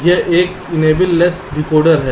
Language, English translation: Hindi, this is an enable, less decoder